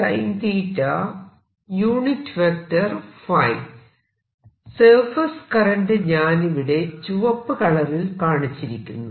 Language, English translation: Malayalam, let me show this current here with red color